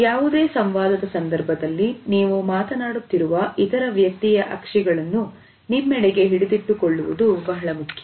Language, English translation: Kannada, During any interaction it is important to hold the eyes of the other person you are talking to